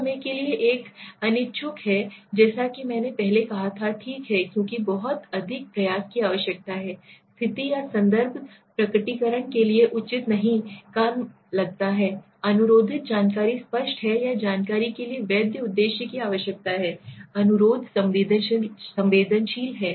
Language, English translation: Hindi, Sometime there are unwilling as I said earlier, right so because too much effort is required or their might not like the situation or context may not seem appropriate for disclosure, no legitimate purpose are need for the information requested is apparent or the information requested is sensitive